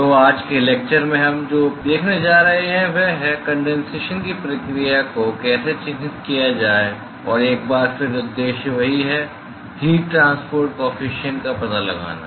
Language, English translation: Hindi, So, what we going to see today’s lecture is; going to look at how to characterize condensation process and once again the objective is the same: to find out the heat transport coefficient